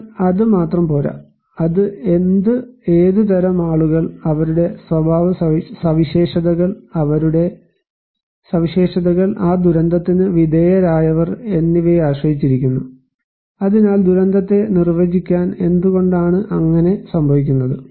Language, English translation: Malayalam, But that is not only enough, it also depends on what and what types of people, what are their characteristics, what are their features, who are exposed to that disaster, so to define disaster so, the question is why is so